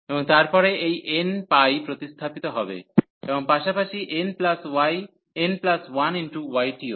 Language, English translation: Bengali, And then this n pi will be replaced accordingly and n plus 1 pi as well